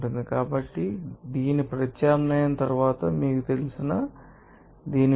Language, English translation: Telugu, So, after substitution of this, you know, value of this